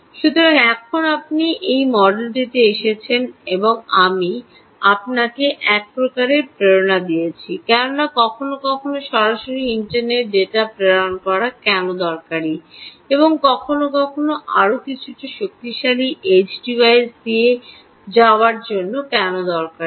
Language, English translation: Bengali, so now you have come to this model and i have sort of given you a sort of a motivation why sometimes it's useful to pass data directly to the internet and why sometimes it useful to pass through a little more powerful edge device